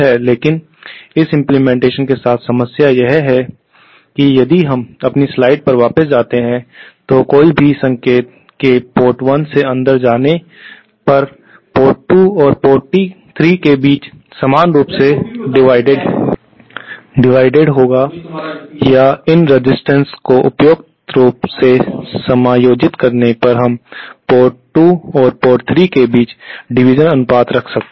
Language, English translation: Hindi, But the problem with this implementation is that if we go back to our slide, any single entering port 1 will be equally divided between ports 2 and 3 or by suitably adjusting these resistances we can have a division ratio between ports 2 and 3